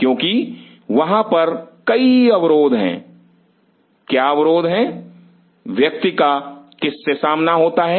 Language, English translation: Hindi, because there are constraints what are the constraints what one comes across